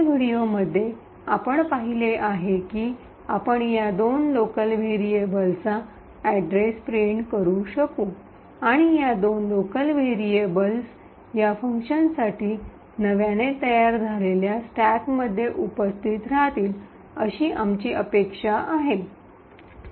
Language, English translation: Marathi, So, as we have seen in the previous video we could print the address of this two local variables and as we would expect this two local variables would be present in the newly formed stacks in for this function